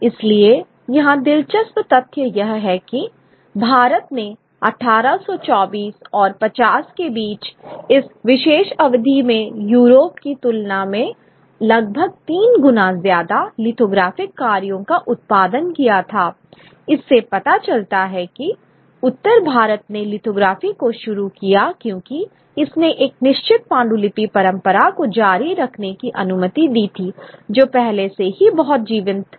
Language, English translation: Hindi, So, interesting fact here that India produced almost thrice the number of lithographic works than Europe in that in this particular period between 1824 and 50 shows the kind of northern India took to lithography because it allowed the continuation of a certain manuscript tradition which was already very, very vibrant